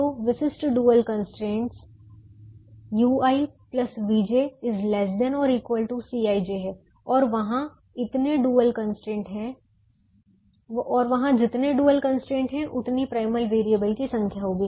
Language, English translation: Hindi, so the typical dual constraint is u i plus v j is less than or equal to c i j, and there'll be as many dual constraints as the number of primal variables